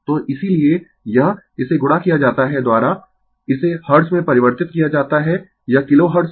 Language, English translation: Hindi, So, that is why this, this is multiplied by it is a converted to Hertz it was Kilo Hertz